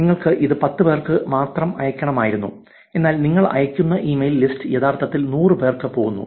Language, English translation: Malayalam, You wanted to send it only to 10 people, whereas the email list that you send is actually going to 100 people, so this can actually help avoid